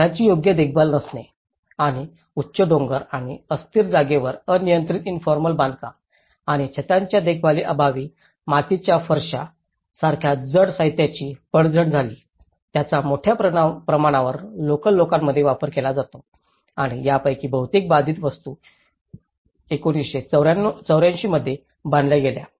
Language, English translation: Marathi, Lack of proper maintenance of houses and uncontrolled informal construction on steep hills and unstable land and lack of maintenance of roofs resulted in the collapse of heavy materials such as clay tiles which are widely used in vernacular housing and most of these affected structures were built in 1984 when the building codes introduced comprehensive seismic resistant standards